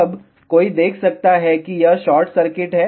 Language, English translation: Hindi, Now, one can see that this is short circuit